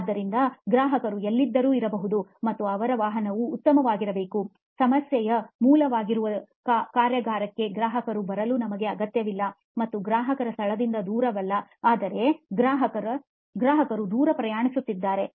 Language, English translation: Kannada, So the customer could be wherever they are and their vehicle could be better, we do not need the customer to come all the way to the workshop which is the root of the problem really, and that it is not the distance from customer location but distance that the customer travels